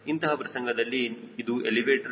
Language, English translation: Kannada, in this case this is elevator